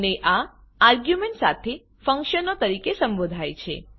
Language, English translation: Gujarati, And this is called as functions with arguments